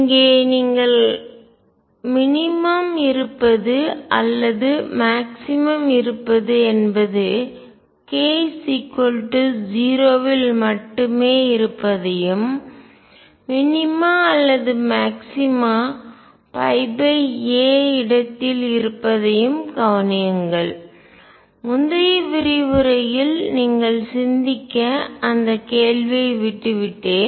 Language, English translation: Tamil, Notice that the minimum exists or maximum exists only at k equals 0 and minima or maxima exists at pi by a, and I left that question for you to think about in the previous lecture let me answer that now